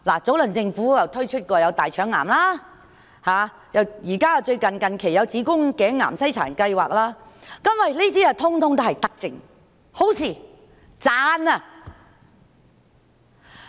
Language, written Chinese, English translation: Cantonese, 早前政府推出大腸癌篩查計劃，近期則有子宮頸癌篩查計劃，這些全都是德政，是好事，值得稱讚。, Earlier the Government launched a colorectal cancer screening program and recently there is a cervical cancer screening program . All these are benevolent policies and good measures deserving our praise